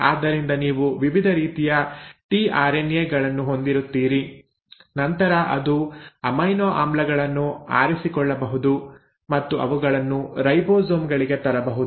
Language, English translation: Kannada, And this tRNA is; so you will have different kinds of tRNAs which can then handpick the amino acids and bring them to the ribosomes